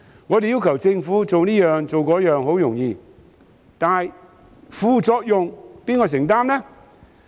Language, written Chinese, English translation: Cantonese, 我們要求政府做這做那，十分容易，但副作用由誰承擔呢？, It is very easy for us to demand the Government to do this and that but who will take the responsibility for the side - effects?